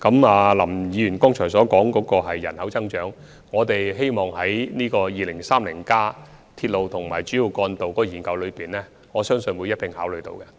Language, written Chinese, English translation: Cantonese, 就林議員剛才提及的人口增長問題，我相信在《香港 2030+》有關鐵路及主要幹道的研究中定會加以考慮。, Concerning the population growth issue just mentioned by Mr LAM I believe it will surely be considered in RMR2030 Studies under Hong Kong 2030 Study